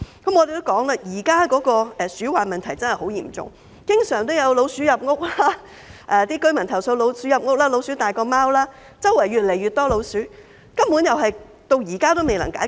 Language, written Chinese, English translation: Cantonese, 我們亦指出，現在鼠患問題真是十分嚴重，經常有居民投訴老鼠入屋、老鼠比貓還要大，周圍越來越多老鼠，這問題根本至今仍未能解決。, We have also pointed out that the rat infestation problem is really very serious at present . There are often complaints from residents that rats enter their flats that rats are bigger than cats and that there are more and more rats around . The problem has not been solved yet